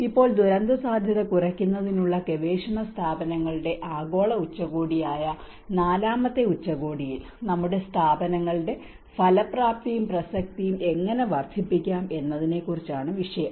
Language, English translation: Malayalam, Now, in the recent the fourth summit, global summit of research institutes for disaster risk reduction, the theme is about the increasing the effectiveness and relevance of our institutes how we can increase